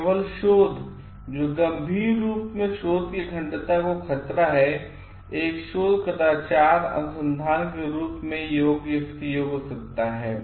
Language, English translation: Hindi, Only research that seriously threatens research integrity can qualify as a research misconduct research